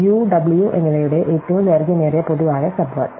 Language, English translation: Malayalam, So, the longest common subword of u and w